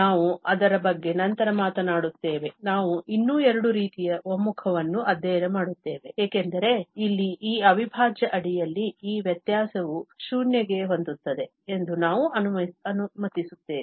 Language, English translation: Kannada, We will be talking about it later, we will study two more types of convergence, because here, we are letting only that this difference under this integral goes to 0